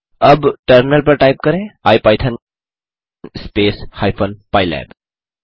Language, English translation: Hindi, Now, type in terminal ipython space hyphen pylab